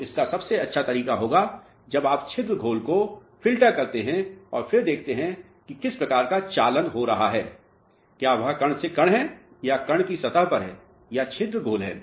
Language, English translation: Hindi, So, this would be the best way you filter out the pore solution and then see what type of conduction is taking place whether it is grain to grain or grain surface or the pore solution